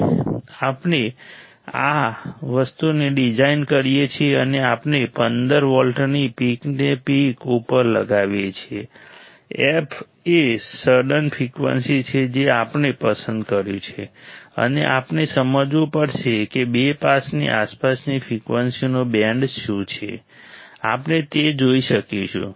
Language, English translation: Gujarati, When we design this thing and we apply a fifteen volts peak to peak f is a sudden frequency right, that we have selected and we have to understand that what is the band of frequency that is around two pass, we will be able to see that whatever frequency we have selected that minus 3 dB that we were get minus 3 dB